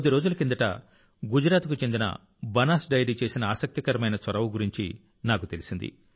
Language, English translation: Telugu, Just a few days ago, I came to know about an interesting initiative of Banas Dairy of Gujarat